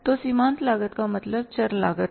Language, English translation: Hindi, Variable cost is called as the marginal cost also